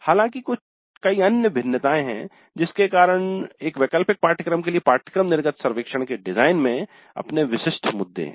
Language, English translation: Hindi, In fact there are many other variations because of each the design of the course exit survey for an elective course has its own peculiar issues